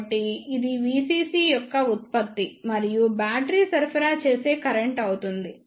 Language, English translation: Telugu, So, this will be the product of V CC and the current supplied by the battery